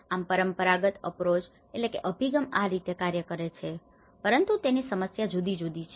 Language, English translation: Gujarati, So this is how the traditional approach works but the problems are different